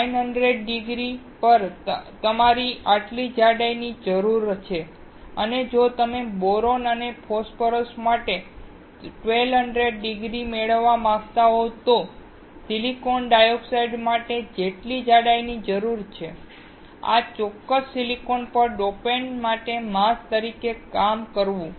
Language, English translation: Gujarati, At 900 degree, you need this much thickness and if you want to have 1200 degree for boron and phosphorus, what is the thickness that is required for the silicon dioxide, on this particular silicon to act as a mask for the dopant